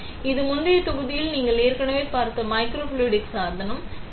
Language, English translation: Tamil, So, this is the microfluidic device that you already saw in the previous module, correct